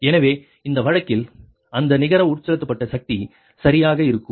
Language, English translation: Tamil, so in this case, in a, in this case that net injected power will be right